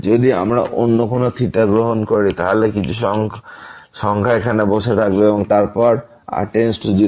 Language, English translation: Bengali, If we take any other theta so, some number will be sitting here and then goes to 0